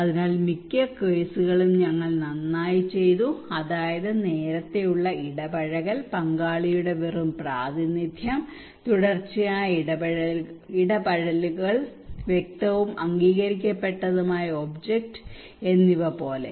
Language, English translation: Malayalam, So most of the cases we did very well like early engagement, representation of just stakeholder, continuity engagements clear and agreed object